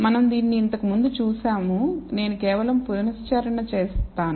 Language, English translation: Telugu, So, we have seen this before I have just only recapped this